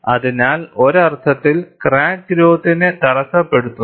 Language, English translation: Malayalam, So, that, in a sense, retards the crack growth